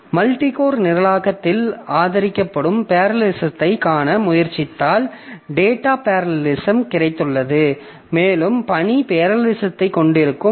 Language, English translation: Tamil, So if you try to look into parallelism that is supported in multi core programming, so we have got data parallelism and we can have task parallelism